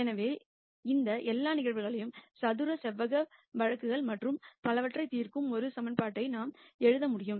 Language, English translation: Tamil, So, that we can write one equation which solves all of these cases square rectangular cases and so on